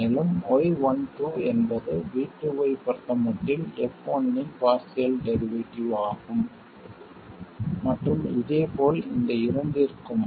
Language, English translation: Tamil, And similarly, Y12 is partial derivative of f1 with respect to v2 and similarly for these two as well